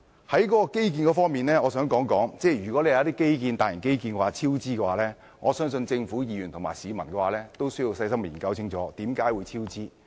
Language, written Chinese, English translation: Cantonese, 關於基建方面，如果有些大型基建超支，我相信政府、議員和市民都需要細心研究為甚麼超支。, I will now turn to the issue of infrastructure . If there are cost overruns in some big infrastructure projects I believe the Government Members and the public have to carefully examine the reasons